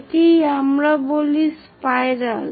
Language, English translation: Bengali, This is what we call spiral